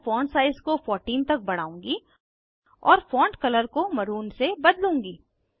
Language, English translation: Hindi, I will increase font size to 14 and change the font color to maroon